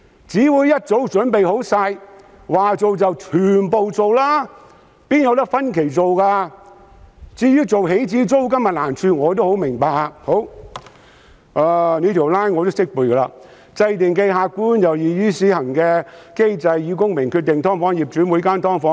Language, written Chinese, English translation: Cantonese, 至於訂立起始租金的難處，我也十分明白。這條 line 我同樣懂得背誦：制訂既客觀且易於施行的機制以公平地決定"劏房"業主就每間"劏房"......, I am well - aware of the difficulty in determining an initial rent as I can recite this line as well It is infeasible to formulate an objective and easy - to - administer mechanism for the purpose of fairly determining the SDU landlords may charge in respect of each of the 100 000 SDUs existed in Hong Kong